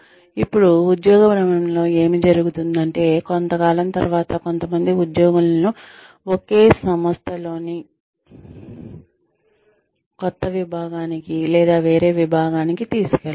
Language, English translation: Telugu, Now, what happens in job rotation is that, after a certain period of time, some employees are taken to a new part, or a different department, within the same organization